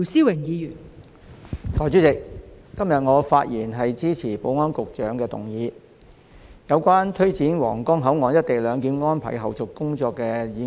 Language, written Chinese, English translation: Cantonese, 代理主席，我發言支持保安局局長動議有關推展皇崗口岸"一地兩檢"安排後續工作的議案。, Deputy President I speak in support of the motion moved by the Secretary for Security on taking forward the follow - up tasks of implementing co - location arrangement at the Huanggang Port